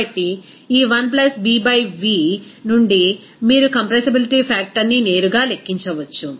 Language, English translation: Telugu, So, from this 1 + B y v, you can directly calculate what should be the compressibility factor z